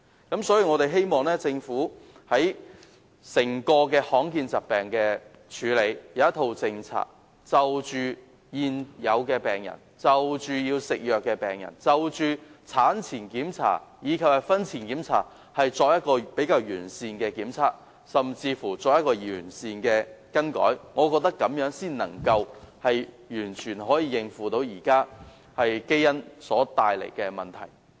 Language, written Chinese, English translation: Cantonese, 因此，我們希望政府可以制訂一套政策，處理罕見疾病，而對於現有病人、要服藥的病人，以及產前檢查及婚前檢查，我們亦希望政府能提供完善的檢測，甚至進行完善的更改，這樣才能夠應付現在基因疾病所帶來的問題。, Therefore we hope that the Government can formulate a policy on dealing with rare diseases . Regarding the existing patients patients requiring medication as well as antenatal and premarital check - ups we also hope that the Government can provide sound examinations and even make comprehensive changes . Only so doing can the existing problems associated with genetic diseases be dealt with